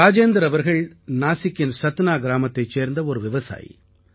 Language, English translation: Tamil, Rajendra ji is a farmer from Satna village in Nasik